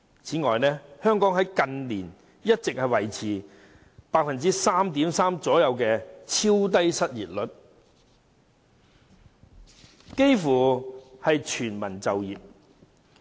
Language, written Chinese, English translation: Cantonese, 此外，香港近年一直維持約 3.3% 的超低失業率，幾乎全民就業。, Moreover in recent years Hong Kong has been maintaining an ultra - low unemployment rate at about 3.3 % meaning that we are in a state of almost full employment